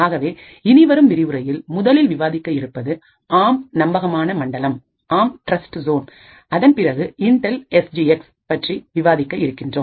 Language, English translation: Tamil, So, in the lectures that follow, we will be first looking at the ARM Trustzone and then we will be looking at Intel SGX, thank you